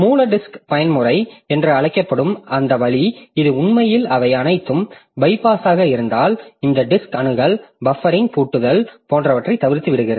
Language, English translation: Tamil, So, that is called raw disk mode and it actually bypasses many of this disk access constraint like the buffering, locking, etc